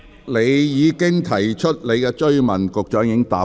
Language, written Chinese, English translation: Cantonese, 你已提出了補充質詢，局長亦已作答。, You have already asked your supplementary question and the Secretary has answered